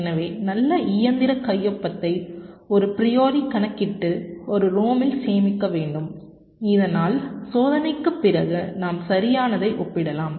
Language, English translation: Tamil, so the good machine signature must be computed a priori and stored in a rom so that after the experiment we can compare right